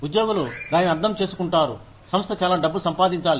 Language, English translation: Telugu, Employees understand that, the organization needs to make a lot of money